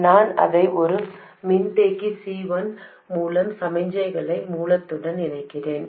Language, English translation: Tamil, So, I connect it to the signal source, so I connect it to the signal source through a capacitor C1